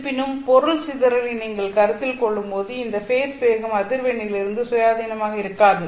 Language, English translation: Tamil, However, when you consider material dispersion, this phase velocity will not be independent of frequency